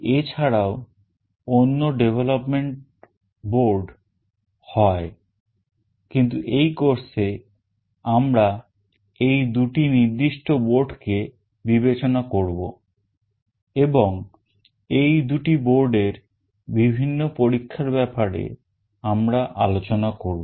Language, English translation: Bengali, There are other development boards as well, but in this course we will be taking the opportunity to take these two specific boards into consideration and we will be discussing the experiments based on these two boards